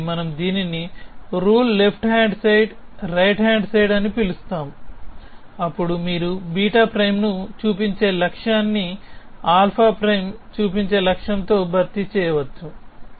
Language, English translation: Telugu, So, we call this a rule left hand side, right hand side, then you can replace the goal of showing beta prime with the goal of showing alpha prime essentially